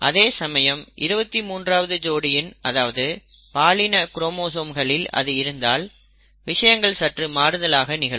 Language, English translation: Tamil, And the 23rd pair is called the sex chromosome because it determines sex of the person